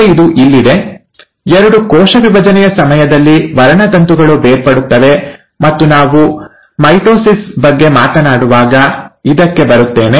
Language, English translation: Kannada, Now it is here, that the two, at the time of cell division, the chromosomes will separate, and I will come to this when we talk about mitosis